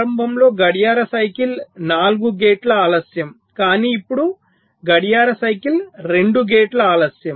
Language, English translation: Telugu, so, ah, so initially clock cycle was four gate delays, but now clock cycle is two gate delays